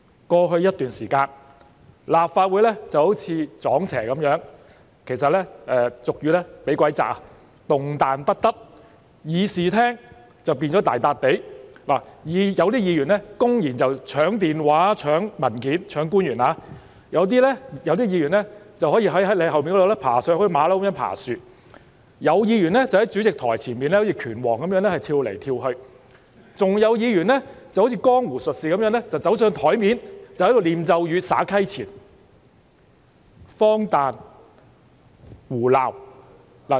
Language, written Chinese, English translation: Cantonese, 過去一段時間，立法會好像"撞邪"般，俗語說是"被鬼壓"，動彈不得，而議事廳變成大笪地，有議員公然搶官員的電話、搶文件，有議員則在你後面爬上去，好像猴子般爬樹，有議員則在主席台前好像拳王般跳來跳去，還有議員好像江湖術士走到桌上唸咒語、撒溪錢；簡直是荒誕、胡鬧。, For a period of time in the past the Legislative Council seemed to be possessed or suffering from sleep paralysis unable to move and the Chamber was turned into a bazaar with some Members openly grabbing a officials phone and papers some climbing up behind you just like monkeys climbing trees some jumping around in front of the Presidents podium like champion boxers and some like a charlatans standing on the table reciting incantations and sprinkling note offerings . It was simply absurd and nonsense